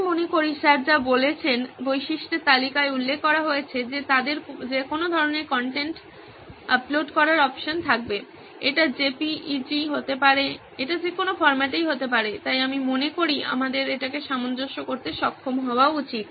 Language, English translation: Bengali, I think in the list of features like sir mentioned they would have the option to upload any kind of content, it could be JPEG, it could be in any format, so I think we should be able to accommodate that